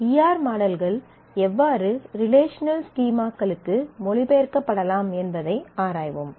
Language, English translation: Tamil, And then we will explore how E R models can be translated to relational schemas, which is a basic step of the logical design